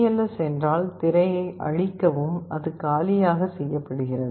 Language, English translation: Tamil, cls means clear the screen, it is made blank